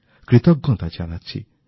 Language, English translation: Bengali, I also express my gratitude